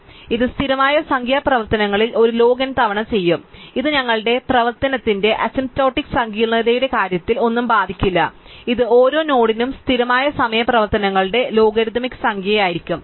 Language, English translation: Malayalam, So, this will do a log n times in constant number operations, so this would not affect anything in terms of the asymptotic complexity of our operation it will be a logarithmic number of constant time operations for each node